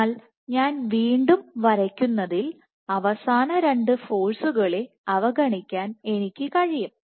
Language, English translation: Malayalam, So, the way I have drawn it again, once again I can disregard the last 2 forces